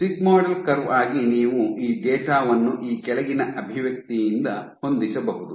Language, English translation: Kannada, So, for a sigmoidal curve what you can do, you can fit this data by the following expression